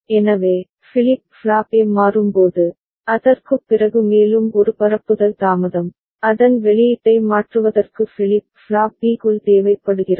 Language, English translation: Tamil, So, when flip flop A changes, after that one more propagation delay, which is required inside flip flop B for its output to change that will be there